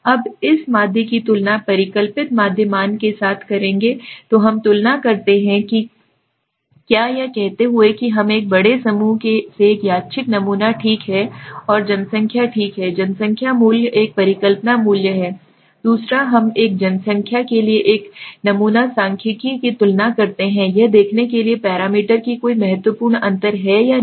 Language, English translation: Hindi, Now we will compare this mean with that hypothesized mean value okay so we compare what is saying we compare a random sample okay from a large group to a population okay and this population value is the hypothesis value second we compare a sample statistic to a population parameter to see if there is any significant difference or not